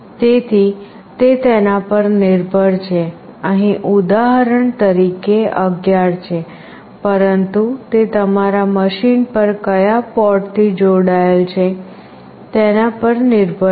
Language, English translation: Gujarati, So, it depends it is 11 for this example, but it depends on to which port it is connected in your machine